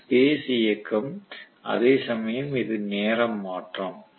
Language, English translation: Tamil, So this is space movement, whereas this is time shift right